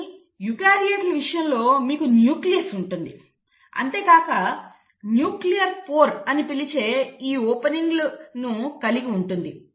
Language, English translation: Telugu, But in case of eukaryotes you have a nucleus, and then it has these openings which you call as the nuclear pore